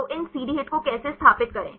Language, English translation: Hindi, So, how to install these CD HIT